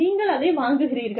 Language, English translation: Tamil, So, you buy